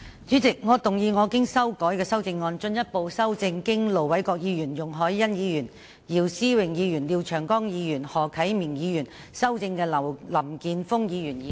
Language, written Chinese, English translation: Cantonese, 主席，我動議我經修改的修正案，進一步修正經盧偉國議員、容海恩議員、姚思榮議員、廖長江議員及何啟明議員修正的林健鋒議員議案。, President I move that Mr Jeffrey LAMs motion as amended by Ir Dr LO Wai - kwok Ms YUNG Hoi - yan Mr YIU Si - wing Mr Martin LIAO and Mr HO Kai - ming be further amended by my revised amendment